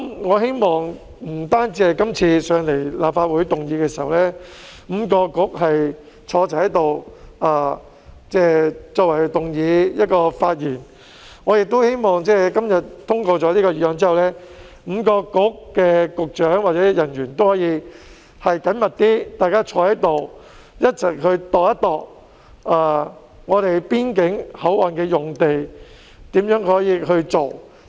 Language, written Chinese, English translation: Cantonese, 我希望不單是今次5位政策局局長一起出席立法會會議動議議案及發言，而是在今天議案通過後 ，5 個政策局的局長或人員也能夠更緊密地一起研究如何運用邊境口岸用地。, I hope that the current attendance of the five Directors of Bureaux at this Council meeting to move the motion and speak is not a full stop but rather that upon passage of the motion today the Directors or officers of the Bureaux will work more closely together to study how to utilize the land around boundary crossings